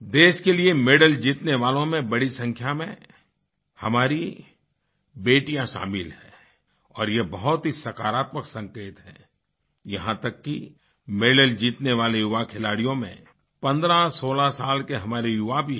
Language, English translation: Hindi, Among those winning medals for our country are a large number of our daughters which is a very positive sign; so much so, that youngsters of only 1516 years of age have brought honour to our country by winning medals